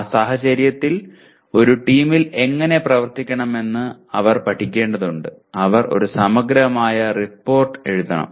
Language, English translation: Malayalam, In that case they have to learn how to work in a team and they have to write a comprehensive report